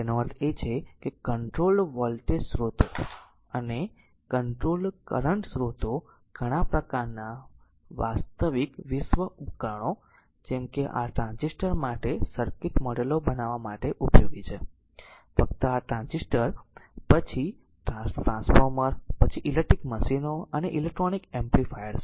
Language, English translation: Gujarati, That means the controlled voltage sources and controlled current sources right are useful in constructing the circuit models for many types of real world devices such as your such as your transistor, just hold down such as your transistor, then your transformer, then electrical machines and electronic amplifiers right